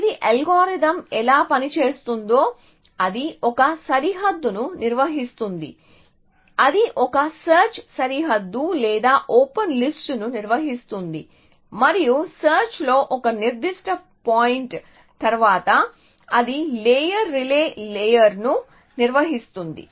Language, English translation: Telugu, So, this is how algorithm works it maintains one boundary sorry it maintains 1 search frontier or the open list and after a certain point in the search it maintains a layer relay layer essentially